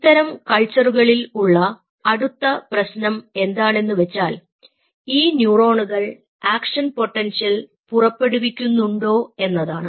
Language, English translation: Malayalam, now the problem with such culture is: are these neurons shooting action potentials or not